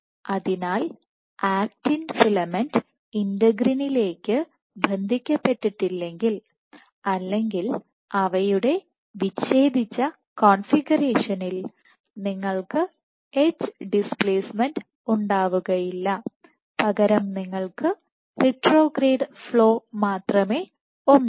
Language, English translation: Malayalam, So, if the actin filament is not attached to the integrin or in the disengaged configuration you will not have any edge displacement but you will only have retrograde flow